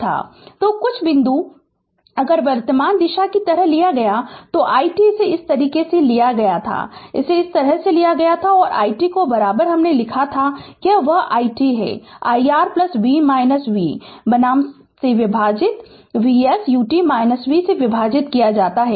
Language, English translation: Hindi, So, some point some point if you current direction was taken like this, this i t was taken like this right, i t was taken like this, and i t is equal to we wrote know, i t is equal to that is your i R plus v minus v that is your V s U t minus V divided by R minus this V divided by R